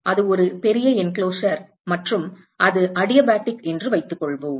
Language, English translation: Tamil, That is a large enclosure and let us assume that it is adiabatic